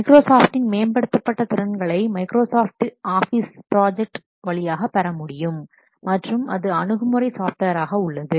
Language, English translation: Tamil, The advanced capabilities they are supported through what Microsoft Office project server as well as Microsoft Office project web access software